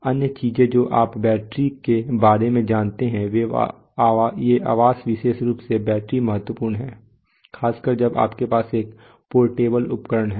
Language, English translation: Hindi, The other things you know battery, housing these are specifically battery is important especially when you have a portable instrument